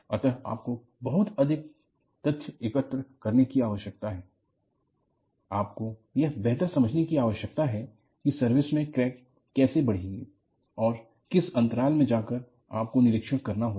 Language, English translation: Hindi, So, you need to collect lot more data, you need to have better understanding of, how the crack will grow in service and what periodicity that, you have to go and inspect